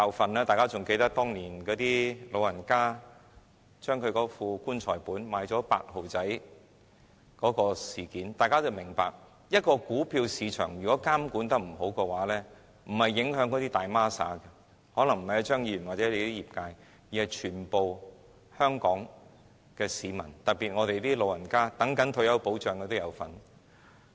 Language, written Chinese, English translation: Cantonese, 相信大家仍記得當年有長者用"棺材本"買入 "8 號仔"的事件，從事件中，大家不難明白若股票市場監管不當，受影響的不是"大孖沙"，也不是張議員或他代表的業界，而是全香港市民，特別是長者，以及一些等待退休保障的人。, I believe Members can still remember all those elderly people who used their funeral savings to buy Stock Code Number 8 many years ago . All of us can easily see that if the stock market is not properly supervised the victims will not be any tycoons or Mr CHEUNG or the industry he represents . Instead the victims will be all Hong Kong people especially elderly people and people looking forward to retirement protection